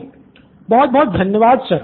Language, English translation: Hindi, Thank you very much Sir